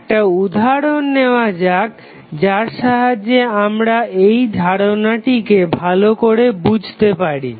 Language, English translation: Bengali, let us take 1 example so that we can understand this concept clearly